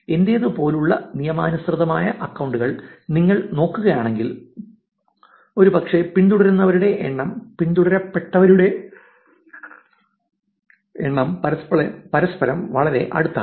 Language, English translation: Malayalam, If you look at again legitimate accounts like mine, probably the number of followers and the number of followings\ are actually very close to each other